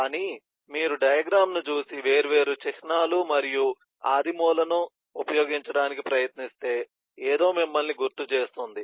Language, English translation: Telugu, but if you just look at the diagram and try to look at the different icons and primitives being used, something should strike you